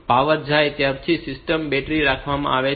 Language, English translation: Gujarati, So, the power goes then the system is held on the battery